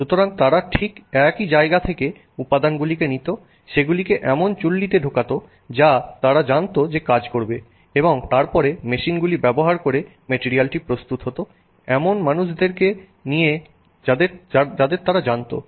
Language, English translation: Bengali, So, they would get source the ingredients from exactly the same place, put it in furnaces that they knew would work and then process the material using machines and people that they knew